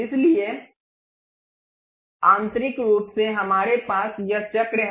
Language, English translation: Hindi, So, internally we have this circle